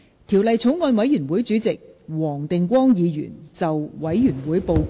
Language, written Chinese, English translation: Cantonese, 條例草案委員會主席黃定光議員就委員會報告，向本會發言。, Mr WONG Ting - kwong Chairman of the Bills Committee on the Bill will address the Council on the Committees Report